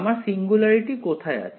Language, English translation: Bengali, Where is my singularity